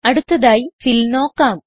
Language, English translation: Malayalam, Next, lets look at Fill